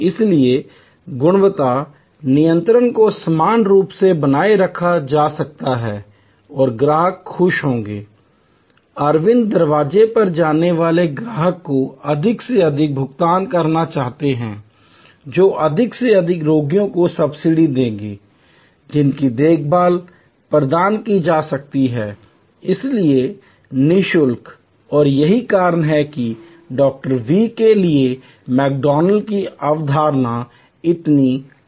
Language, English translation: Hindi, So, therefore, quality control can be uniformly maintained and customers will be happy, there will be willingly paying customers coming at Aravind door step more and more, who will subsidize, more and more patients whose care can be provided therefore, free of charge and that is why to Dr